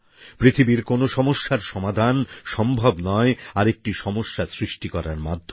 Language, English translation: Bengali, No problem in the world can be solved by creating another problem